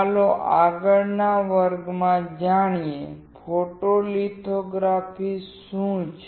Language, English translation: Gujarati, Let us learn in the next class, what photolithography is